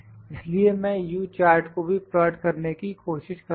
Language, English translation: Hindi, So, I will try to plot the U chart as well, here U chart